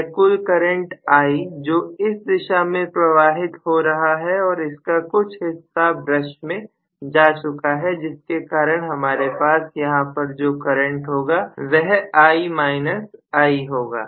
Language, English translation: Hindi, Because this is the total current I which is flowing from the other direction and part of it has already gone into the brush because of which I am going to have a current here which is I minus i, right